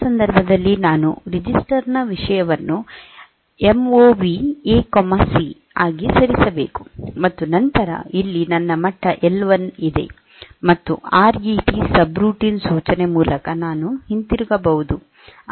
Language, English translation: Kannada, So, in that case, I should move the content of I should move the content of C register into a MOV A comma C, and then there here is my level L 1, and here I return from the subroutine by means of a RET instruction